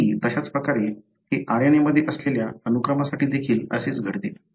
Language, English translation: Marathi, Exactly the similar way, it happens even for the sequence that is present in the RNA